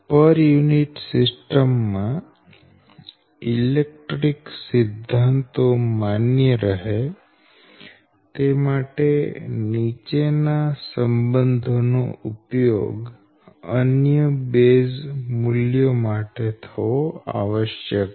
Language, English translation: Gujarati, therefore, in order for electrical laws to be valid in the per unit system right, following relations must be used for other base values